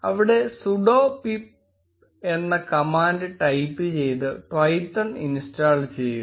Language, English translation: Malayalam, And type, the command sudo pip install Twython